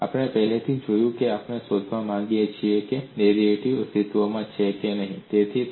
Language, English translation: Gujarati, And we have already said, we want to find out whether the derivative exists